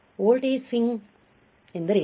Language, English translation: Kannada, What is voltage swing